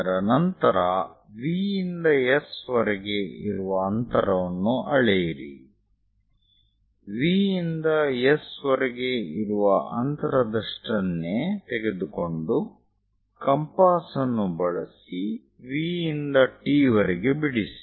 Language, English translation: Kannada, After that measure the distance from V to S; from V to S whatever the distance is there, using compass from V to T also locate it